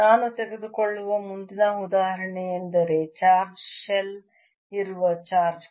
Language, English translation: Kannada, the next example i take is that of a charge shell on which there's a charge q